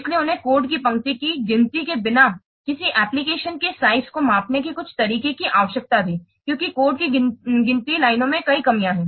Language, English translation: Hindi, So, he also needed some way of measuring the size of an application without counting the lines of code because the counting lines of code has several dropbacks